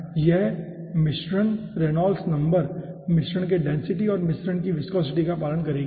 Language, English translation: Hindi, okay, so this mixture reynolds number will be following the density of the mixture and the viscosity of the mixture, right